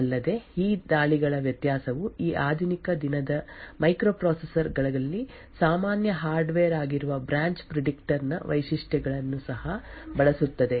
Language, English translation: Kannada, Also, a variance of these attacks also use the features of the branch predictor which is a common hardware in many of these modern day microprocessors